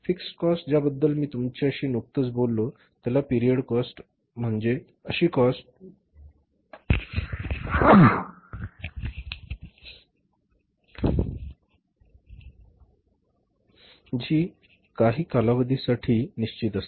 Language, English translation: Marathi, Fix Fix cost I have just talked to you which is a period cost which remains fixed over a period of time